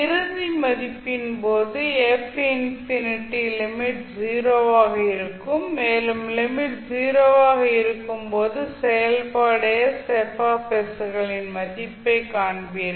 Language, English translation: Tamil, While in case of final value f infinity limit will tends to 0 and you will find the value of function s F s when limit s tends to 0